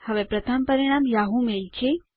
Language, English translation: Gujarati, Instead the top result is Yahoo mail